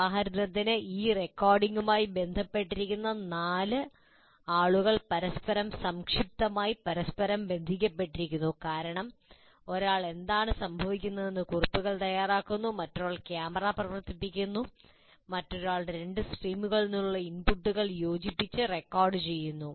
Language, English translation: Malayalam, For example, the four people that are associated with this recording, they are briefly interrelated to each other because one is kind of making notes about what is happening, another one is operating the camera, the other one is combining the inputs that come from two streams and trying to record